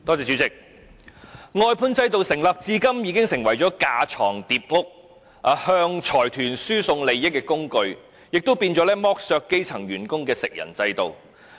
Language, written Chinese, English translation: Cantonese, 主席，外判制度成立至今已成為架床疊屋、向財團輸送利益的工具，亦淪為剝削基層員工的食人制度。, President the outsourcing system has since its establishment become a tool for unnecessary duplication and transfer of benefits to consortia . It has also been reduced to a cannibalistic system that exploits grass - roots workers